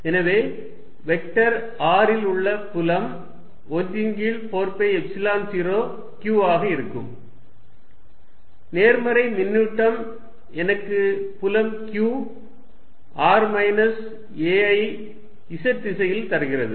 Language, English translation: Tamil, So, the field at some vector r is going to be 1 over 4 pi Epsilon 0 q the positive charge gives me the field q, r minus a in the z direction